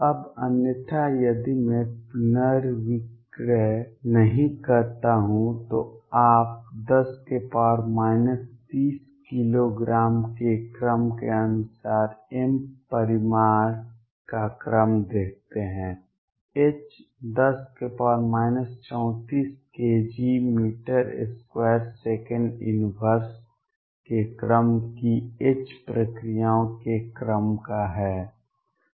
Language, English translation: Hindi, Now, otherwise if I do not rescale you see the order of magnitude m as of the order of 10 raise to minus 30 kilograms, h is of the order of h processes of the order of 10 raise to power minus 34 k g meter square second inverse